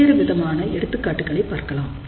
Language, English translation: Tamil, We will look at several different examples